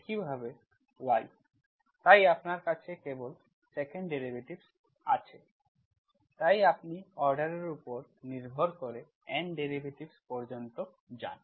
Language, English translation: Bengali, Similarly y, so you have only 2nd derivatives, right, so you have, so like that you go up to N derivatives, N derivatives of a depending on the order